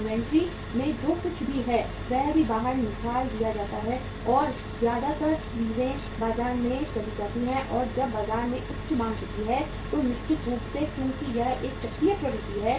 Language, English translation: Hindi, Whatever is there in the inventory that is also taken out and most of the things go to the market and when the there is a high demand in the market certainly because it is a cyclical trend